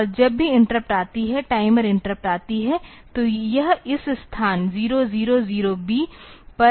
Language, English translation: Hindi, And whenever the interrupt comes, the timer interrupt comes; so it will be coming to this location 000B